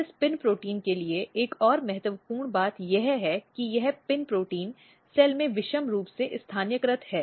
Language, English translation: Hindi, And another important thing for this PIN proteins are that this PIN proteins are asymmetrically localized in the cell